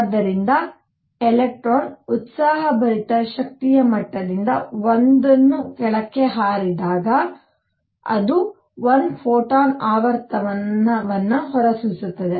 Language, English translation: Kannada, So, these are the levels when an electron jumps from an excited energy level to lower one, it emits 1 photon of frequency nu